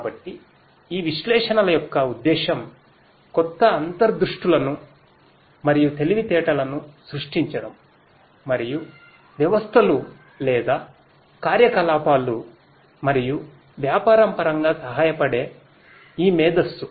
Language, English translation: Telugu, So, the purpose of this analytics is to generate new insights and intelligence, and this is this intelligence which helps in terms of the systems or the operations and business